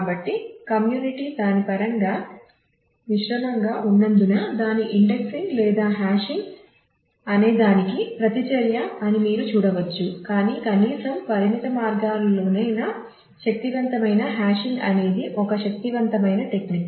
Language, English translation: Telugu, So, of course, you can see that there as the community is mixed in terms of it is a reaction to whether its indexing or hashing, but hashing powerful at least in limited ways is a powerful technique to go with